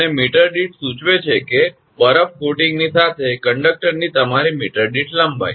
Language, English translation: Gujarati, And per meter indicates that your per meter length of the conductor right with ice coating